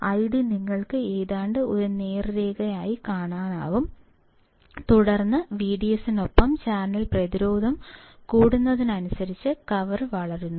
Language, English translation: Malayalam, I D you can see almost a straight line and then, the curve bends as the channel resistance increases with V D S